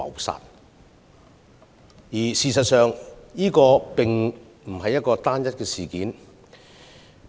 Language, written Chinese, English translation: Cantonese, 事實上，這並非單一事件。, In fact this is not an isolated incident